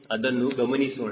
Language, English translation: Kannada, let us see that